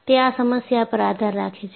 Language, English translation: Gujarati, So, it depends on the problem